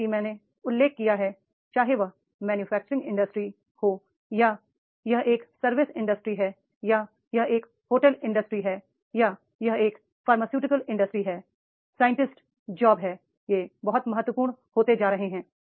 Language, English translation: Hindi, For As I mentioned, whether the production or it is a service industry or it is a hotel industry or it is a pharmaceutical industry, the scientist jobs, they are becoming very, very important